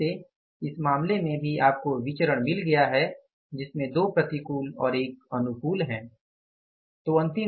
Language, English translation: Hindi, So, again in this case also you have got the variances like 2 are adverse, 1 is favorable